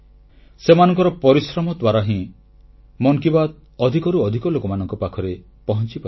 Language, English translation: Odia, It is due to their hard work that Mann Ki Baat reaches maximum number of people